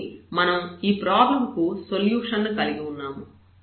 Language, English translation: Telugu, So, we have the solution of this problem